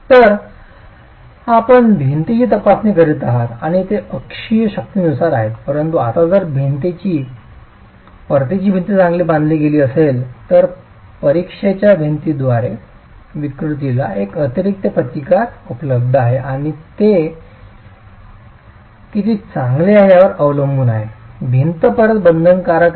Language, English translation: Marathi, So you are examining the wall and it is under axial forces but now if the return walls are well bonded to the wall under examination, there is an additional resistance that is available to this deformation by the return walls